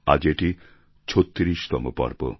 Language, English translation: Bengali, This is the 36th episode today